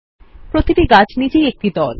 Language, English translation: Bengali, Each tree is also a group by itself